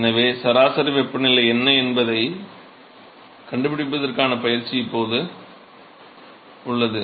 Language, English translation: Tamil, So, the exercise is now to really find out what is the mean temperature